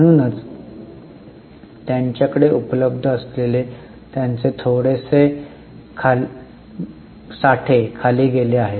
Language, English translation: Marathi, That is why their reserves available with them have slightly gone down